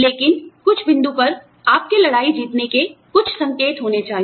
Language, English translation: Hindi, But, there should be some indication of, you winning the battle, at some point